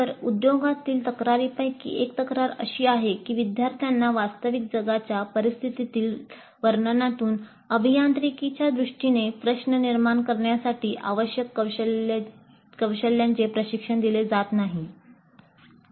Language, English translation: Marathi, So one of the complaints from industry has been that students are not being trained in the skills required to formulate a problem in engineering terms from a description given of the real world scenario